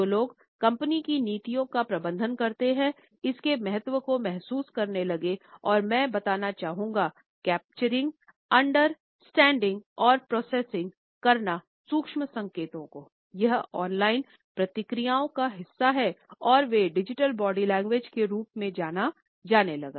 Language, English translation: Hindi, The people, who manage company policies, started to realise the significance of and I quote “capturing, understanding and processing the subtle signals” that are part of the online processes and they came to be known as digital body language